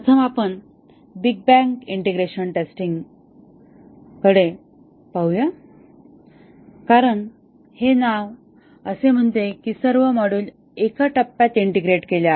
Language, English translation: Marathi, First let us look at the big bag integration testing here as the name says that all modules are integrated in one step